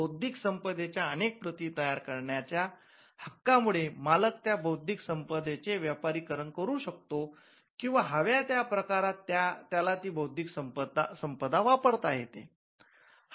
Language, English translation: Marathi, So, the ability to create multiple copies allows the intellectual property right owner to commercialize and to exploit the subject matter covered by intellectual property